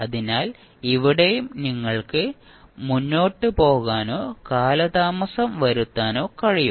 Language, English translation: Malayalam, So, here also you can advance or delay